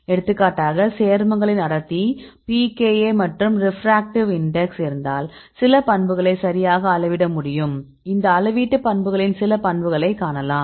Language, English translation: Tamil, For example, some properties you can measure right, density you can measure if you have the compound and pKa and the refractive index and we can see some properties of measurement properties